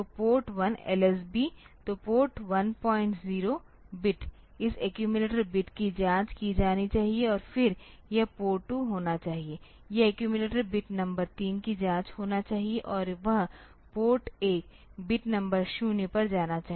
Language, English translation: Hindi, So, Port 1s LSB, so Port 1 0 bit, so this bit should be checked and accordingly this sorry this accumulator bit should be checked and then this should be Port 2, this accumulator bit number 3 should be checked and that should go to Port 1 bit number 0